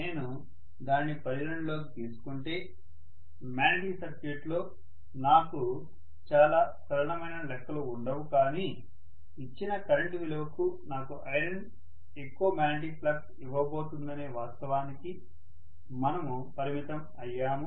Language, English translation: Telugu, If I take that into consideration, I will not have very simple calculations in the magnetic circuit, but we are kind of you know constrained by the fact that iron is going to give me more magnetic flux for a given current, so we are bound to use that